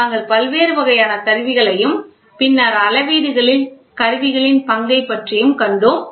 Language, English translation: Tamil, We saw various types of instruments, then the role of instruments in measurements